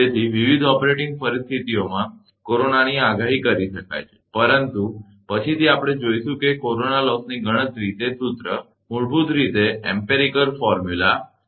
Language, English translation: Gujarati, So, at different operating conditions, corona can be predicted, but later we will see that corona loss computation those formula, basically empirical formula